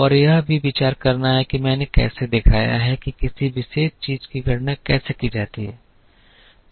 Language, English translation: Hindi, And also considering how I have shown how the one particular thing is calculated